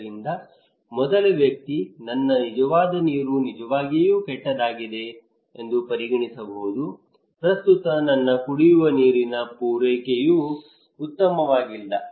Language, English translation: Kannada, So the first person, he may consider that, my real water is really bad the present my drinking water supply is not good